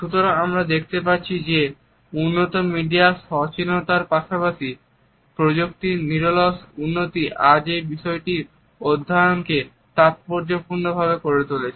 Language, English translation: Bengali, So, we can find that the enhanced media awareness as well as the continuous growth in the technology today has made this particular aspect of a study a significant one